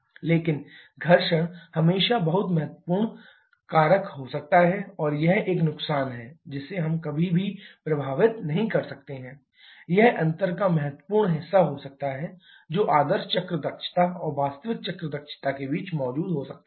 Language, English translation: Hindi, But friction can always be very significant factor and this is a loss we can never avoid infact it can be significant portion of the difference that can exist between ideal cycle efficiency and actual cycle efficiency